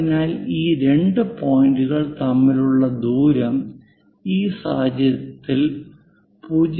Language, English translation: Malayalam, So, the distance between these two points is 0